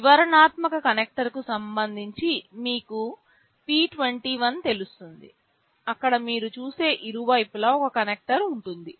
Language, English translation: Telugu, You will know p 21 with respect to the detailed connector where you see there will be one connector on either side